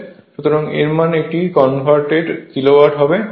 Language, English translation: Bengali, So, that means it is converted kilo watt